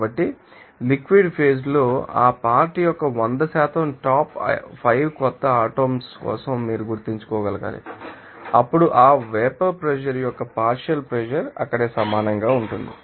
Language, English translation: Telugu, So, you have to that remember for 100% top 5 new molecules of that component i in the liquid phase then there will be partial pressure of that vapor pressure will be equal there